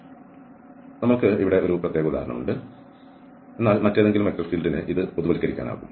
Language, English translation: Malayalam, So, this is a particular example, but one can generalise this for many other or any other vector field